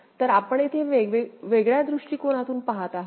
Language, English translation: Marathi, So, here we are seeing it in a different point of view